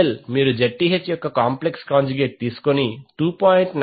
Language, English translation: Telugu, ZL you can simply find out by taking the complex conjugate of Zth that is 2